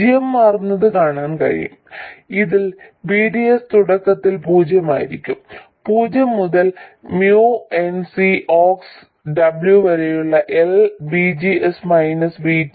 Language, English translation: Malayalam, And GM changes from you can see this VDS will be zero initially, 0 to MN C Ox W by L VGS minus VT